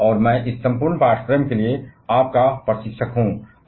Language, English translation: Hindi, And I am going to be your instructor for the entire of this course